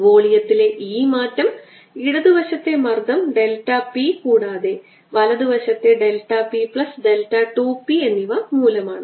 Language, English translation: Malayalam, this change in volume is caused by the special delta p on the left side, delta p plus delta two p on the right hand side